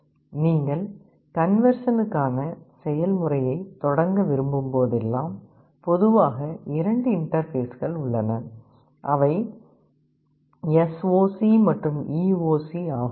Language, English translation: Tamil, And whenever you want to start the process of conversion, there are typically two interfaces, SOC and EOC